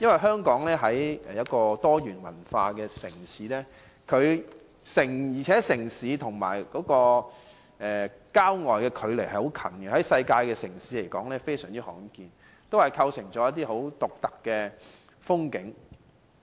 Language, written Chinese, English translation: Cantonese, 香港是一個多元文化城市，市區和郊外的距離接近，在世界的城市來說非常罕見，亦構成一些很獨特的風景。, Hong Kong is a multicultural city where urban and rural areas are in close proximity . This is a unique characteristic of Hong Kong which is rarely found in other cities of the world